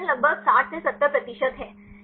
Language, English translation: Hindi, The performance is around 60 to 70 percent